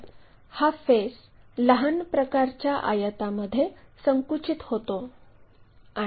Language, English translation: Marathi, So, this face shrunk to the small kind of rectangle